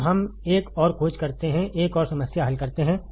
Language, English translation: Hindi, So, let us find another, let us solve another problem